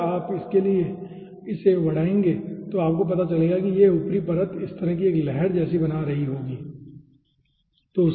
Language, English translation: Hindi, if you will increase it for that, then you will be finding out this upper layer will be forming a ripple kind of thing like this